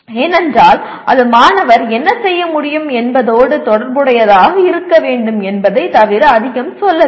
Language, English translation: Tamil, Because it is not saying very much except that it should be related to what the student should be able to do